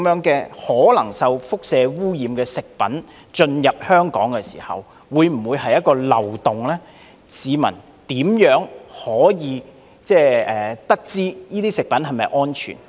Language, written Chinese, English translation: Cantonese, 這些可能受輻射污染的食品如果能因此進口香港，會否是一個漏洞呢？市民怎樣得知這些食品是否安全？, Will there be a loophole if these food products which might be radiation - contaminated can be imported into Hong Kong through this way?